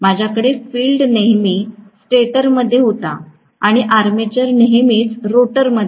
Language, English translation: Marathi, I was having field was always in the stator and armature was always in the rotor right